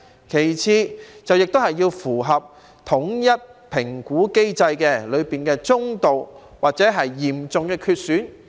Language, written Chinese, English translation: Cantonese, 其次，亦要符合統一評估機制的身體機能中度或嚴重缺損。, Moreover those being cared must have been assessed as moderately or severely impaired under the standardized assessment mechanism